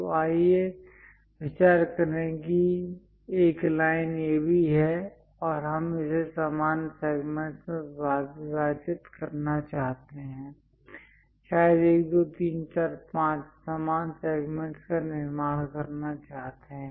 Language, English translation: Hindi, So, let us consider there is a line AB, and we would like to divide that into equal segments; perhaps 1, 2, 3, 4, 5 equal segments we would like to construct